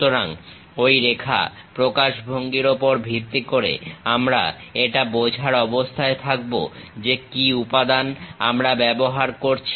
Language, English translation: Bengali, So, based on those line representation we will be in a position to understand what type of material we are using